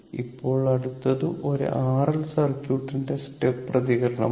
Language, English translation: Malayalam, So now, next is the step response of an R L circuit